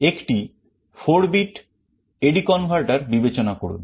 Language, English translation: Bengali, Consider a 4 bit A/D converter